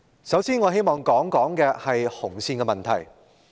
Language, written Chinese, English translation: Cantonese, 首先，我希望談談"紅線"的問題。, First I would like to talk about the red line